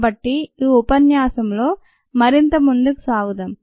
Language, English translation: Telugu, so let us move further in this lecture